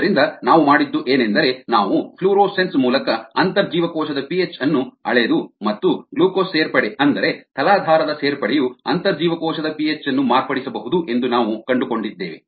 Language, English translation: Kannada, we um measure intracellular p h through florescence, and we found that glucose addition, the addition of the substrate, can modify intracellular p h